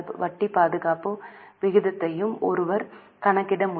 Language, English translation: Tamil, Same way one can also calculate interest coverage ratio